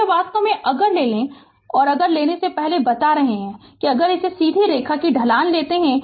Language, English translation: Hindi, So, it is actually if you take the, if you take the before telling, if you take the slope of this straight line